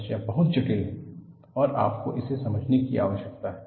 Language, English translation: Hindi, The problem is very complex and you need to understand that